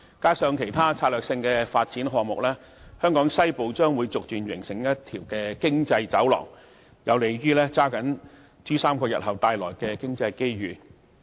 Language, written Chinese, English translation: Cantonese, 加上其他策略性發展項目，......香港西部將逐漸形成一條經濟走廊，......有利抓緊珠三角日後帶來的經濟機遇"。, Coupled with strategic projects[] a Western Economic Corridor will emerge[] to capture many future economic opportunities in the [Pearl River Delta]